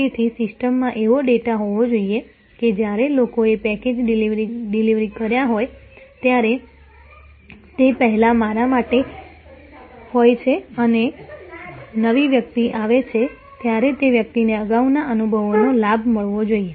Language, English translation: Gujarati, So, there must be data in the system that when people have delivered packages are earlier to me and now, new person comes that person should get that advantage of the previous experience